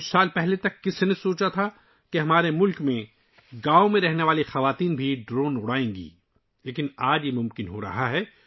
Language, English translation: Urdu, Who would have thought till a few years ago that in our country, women living in villages too would fly drones